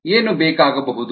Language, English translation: Kannada, what is need